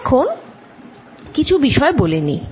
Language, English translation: Bengali, now just a couple of points